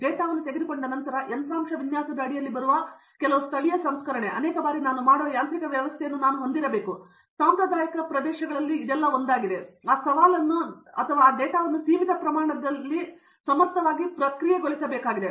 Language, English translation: Kannada, Once the data is taken, then I need to have mechanism by which I do some local processing , many times, so that comes under the hardware design, one of the traditional areas and that challenge is there is that I need to process that data with limited amount of competent